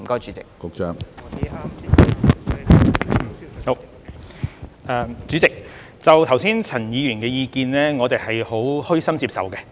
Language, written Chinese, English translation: Cantonese, 主席，剛才陳議員的意見，我們虛心接受。, President we humbly accept the views expressed by Mr CHAN just now